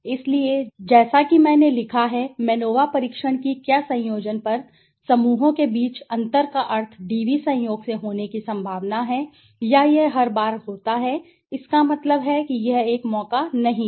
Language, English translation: Hindi, So, as I have written MANOVA tests whether means difference among groups on combination DVs likely to occur by chance or would it occur every time that means it is not a chance right